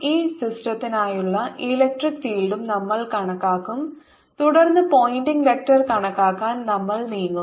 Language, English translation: Malayalam, we will also calculate the electric field for this system and then on we'll move to calculate the pointing vector